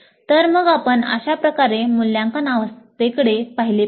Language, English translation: Marathi, So, that is how we should be looking at the evaluate phase